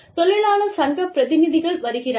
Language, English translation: Tamil, The labor union representatives come